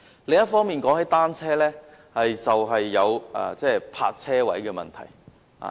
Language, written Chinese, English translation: Cantonese, 另一方面，說到單車，便會有泊車位的問題。, On the other hand speaking of bicycles the problem of parking spaces will naturally come into the picture